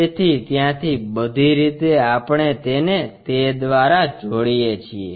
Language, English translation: Gujarati, So, all the way from there we connect it by that